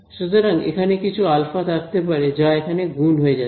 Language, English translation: Bengali, So, this is there can be some alpha which multiplies over here